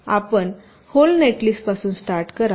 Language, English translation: Marathi, so you start from the whole netlist